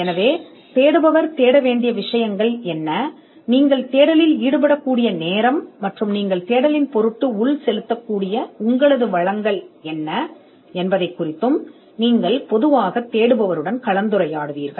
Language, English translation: Tamil, So, you would normally discuss with the searcher as to what are the things that the searcher should look for, and what is the time and resources that you will be putting into the search